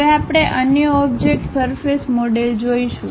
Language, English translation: Gujarati, Now, we will look at other object name surface model